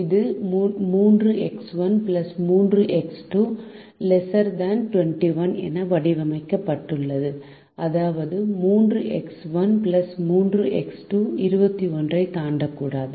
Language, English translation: Tamil, this is modeled as three x one plus three x two is less than or equal to twenty one, which means three x one plus three x two cannot exceed twenty one